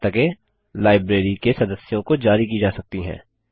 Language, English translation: Hindi, And books can be issued to members of the library